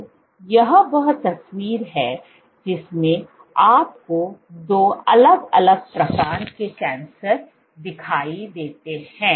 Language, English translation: Hindi, So, this is the picture that you have two different kinds of cancer